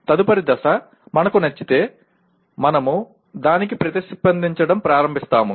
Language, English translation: Telugu, And then next stage is, if we like it, we start responding to that